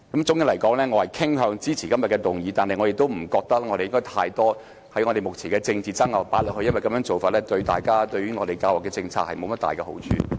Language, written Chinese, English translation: Cantonese, 總的來說，我傾向支持今天的議案，但我不認為應把過多有關目前政治爭拗的資料放進課程內，因為這樣做對我們的教育政策無甚好處。, On the whole I tend to support todays motion . But I do not think that we should incorporate too much information concerning the present political disputes into the curriculum because that will not be conducive to our education system